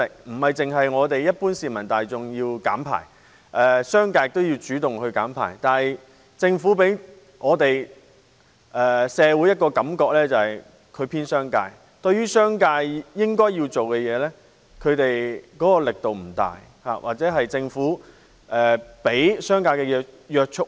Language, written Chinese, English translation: Cantonese, 不僅是一般市民大眾要減排，商界也要主動減排，但政府給社會的感覺是偏幫商界，對於商界應該做的工作，推動力度不大，或對商界過於寬容。, Not only the general public should reduce emissions but the business sector should also take the initiative to do so . However the Government has created a public impression that it is biased in favour of the business community . It has done too little to force the business community to do what they should or has been too tolerant of them